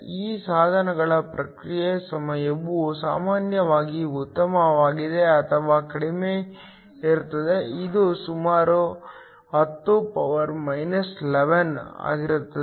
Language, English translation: Kannada, Response time of these devices are typically much better or much shorter, this is around 10 11